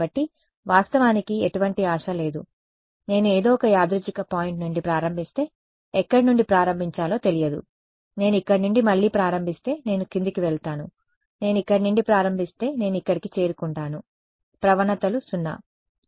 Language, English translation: Telugu, So, there is no hope actually I I just do not know where to start from if I start from some random point if I start from here again I go down I if I start from let us say here and I reach over here gradients are 0 right ok